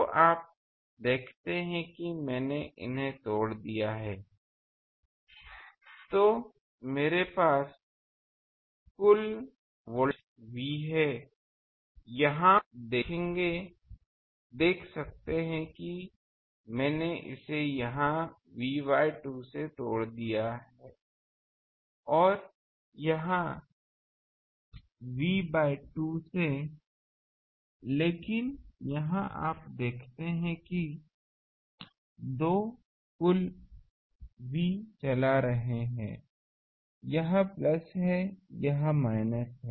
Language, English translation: Hindi, So, you see I have broken these, I have a total voltage V, here you see I have broken it V by 2 here and V by 2 here, but here you see that these two total V that is driving, this is plus, this is plus, this is minus, this is minus